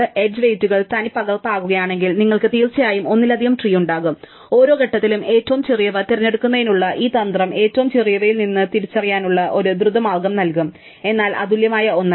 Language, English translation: Malayalam, If the edge weights are duplicated, you can definitely have multiple trees and this strategy of picking out the smallest one at each stage will give us a quick way to identify one of the smallest ones, but not a unique one